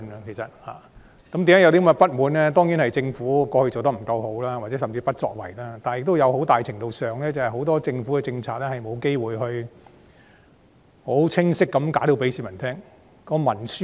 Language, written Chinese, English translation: Cantonese, 原因當然是政府以往的表現未如理想或甚至不作為，但在很大程度上，政府其實有很多政策均未有機會清晰地向市民解釋。, It is certainly because of the unsatisfactory performance or even inaction of the Government in the past . But to a large extent the Government actually has not had the opportunity to clearly explain a number of its policies to the public